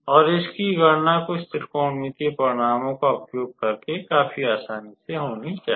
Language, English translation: Hindi, And the calculation of this one should be fairly easy using some trigonometrical results